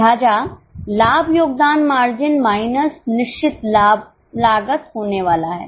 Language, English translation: Hindi, So, profit is going to be contribution margin minus fixed cost